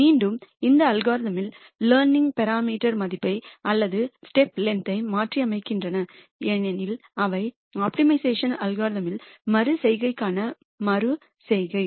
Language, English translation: Tamil, And again these algorithms also keep changing the value of the learning parameter or the step length as they would call it in optimization algorithms, iteration to iteration